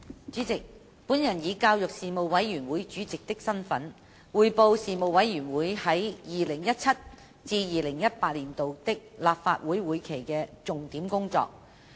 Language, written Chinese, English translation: Cantonese, 主席，我以教育事務委員會主席的身份，匯報事務委員會在 2017-2018 年度立法會會期的重點工作。, President in my capacity as Chairman of the Panel on Education the Panel I now report some major items of work of the Panel for the 2017 - 2018 session